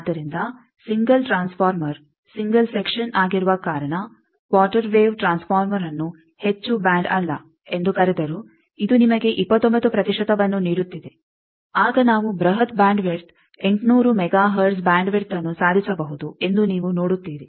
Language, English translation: Kannada, So, a quarter wave transformer though you are calling it not a very high band because it is a single transformer, single section, but still it is giving you 29 percent then you see we could achieve 880 mega hertz bandwidth, huge bandwidth